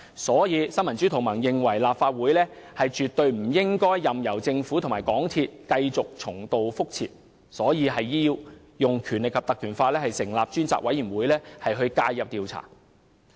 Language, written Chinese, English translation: Cantonese, 所以，新民主同盟認為，立法會絕對不應任由政府和港鐵公司重蹈覆轍，必須引用《立法會條例》成立專責委員會介入調查。, The Neo Democrats thus holds that the Legislative Council should by no means let the Government and MTRCL repeat the same mistakes and must invoke the Ordinance to set up a select committee to intervene and investigate